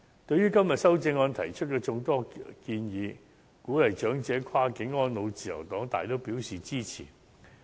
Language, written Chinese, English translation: Cantonese, 對於今天修正案提出的眾多建議，鼓勵長者跨境安老，自由黨大都表示支持。, The Liberal Party agrees to most of the suggestions raised in the amendments today for the sake of encouraging elderly people to spend their advanced years across the border